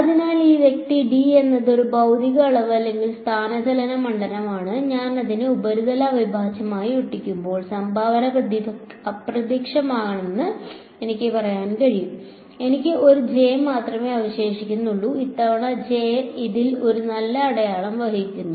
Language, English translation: Malayalam, So, this guy is d is a physical quantity or displacement field when I will stick it into a surface integral I can say it is the contribution will vanish I will only be left with a J and this time J is carrying a positive sign in this equation J was carrying a sorry M was carrying a negative sign